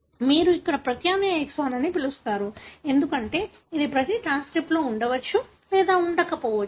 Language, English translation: Telugu, You call here as alternative exon, because this may or may not be present in every transcript